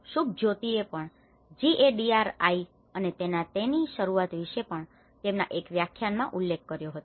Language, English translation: Gujarati, Subhajyoti already mentioned about the Gadri and its initiatives in one of the lecture